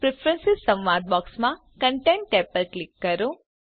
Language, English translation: Gujarati, In the Preferences dialog box, choose the Content tab